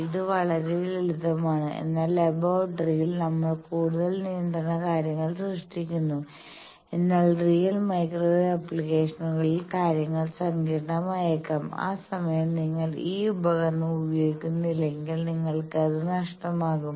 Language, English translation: Malayalam, So, simple and in laboratory we are creating much more control things, but in actual microwave applications, the things may be complicated and that time if you do not use this tool you will be, at a loss